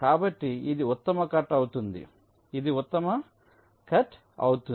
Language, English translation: Telugu, so this will be the best cut